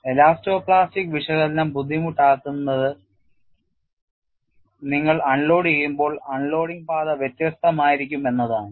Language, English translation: Malayalam, What makes elasto plastic analysis difficult is that when you unload, the unloading path is different